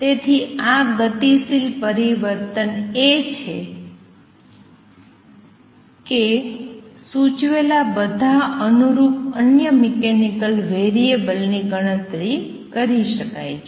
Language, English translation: Gujarati, So, this is the kinematic change is that suggested an all the corresponding other mechanical variables can be calculated